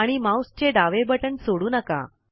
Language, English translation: Marathi, And release the left mouse button